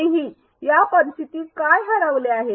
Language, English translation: Marathi, Still what is missing in this scenario